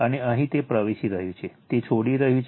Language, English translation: Gujarati, And here it is entering, it is leaving right